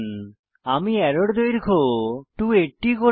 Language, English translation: Bengali, I will increase the arrow length to 280